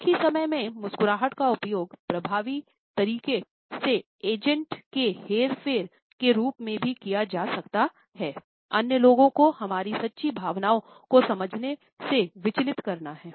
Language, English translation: Hindi, At the same time, a smiles can also be used in an effective way as manipulating agents, distracting the other people from understanding our true feelings